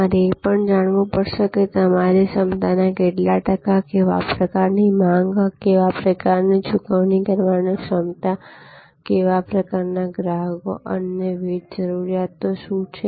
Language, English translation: Gujarati, Also you have to know that what kind of demand as what kind of what percentage of your capacity is serve by what kind of demand, what kind of paying capacity, what kind of customers, what are there are different other requirements